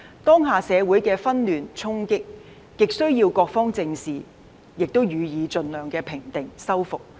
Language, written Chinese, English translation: Cantonese, 當下社會的紛亂、衝擊，極須各方正視並予以盡量平定、修復。, It is desperately necessary that various parties squarely address pacify and rehabilitate the present social disorder and clashes